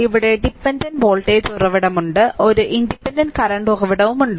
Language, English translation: Malayalam, what dependent voltage source is there, one independent current source is there right